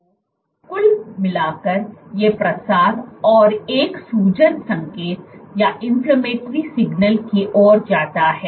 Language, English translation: Hindi, So, overall these leads to proliferation and an inflammation signal